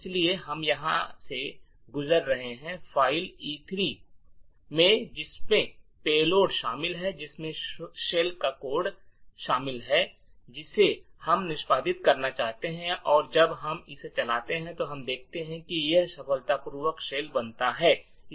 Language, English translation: Hindi, So, what we are passing here is the file E3 which comprises of the payload comprising of the shell code that we want to execute and when we run this what we see is that it successfully creates a shell